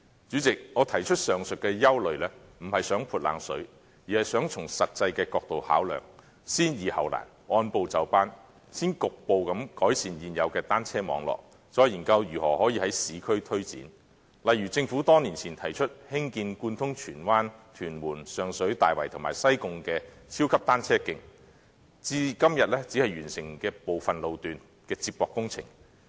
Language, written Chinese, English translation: Cantonese, 主席，我提出上述的憂慮並不是想"潑冷水"，而是想從實際的角度考量，先易後難，按部就班，先局部改善現有單車網絡，再研究如何可以在市區推展，例如政府多年前提出興建貫通荃灣、屯門、上水、大圍和西貢的超級單車徑，至今只完成部分路段的接駁工程。, President I have no intention to throw a cold blanket in raising the aforesaid concerns . I only wish to make consideration from a practical angle resolve the simple issues before the difficult ones and adopt a progressive approach by partially improving existing cycling networks before studying ways to take forward the urban networks . For instance insofar as the super cycle tracks proposed by the Government years ago to link up Tsuen Wan Tuen Mun Sheung Shui Tai Wai and Sai Kung are concerned only some sections have their connecting works completed